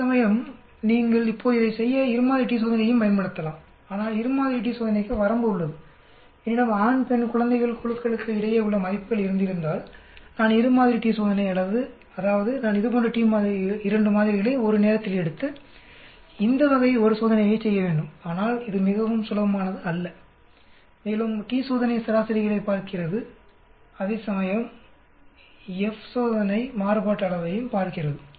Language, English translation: Tamil, Whereas, if you now of course you can use this a two sample t test also to do it, but then the two sample t test has limitation suppose if I had between groups male, female, infant then two sample t test means I have to take 2 such of samples one at a time and perform this type of t test which is not very comfortable and also t test looks at means, whereas F test looks at variance also